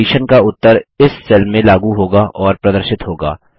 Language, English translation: Hindi, The conditions result will be applied and displayed in this cell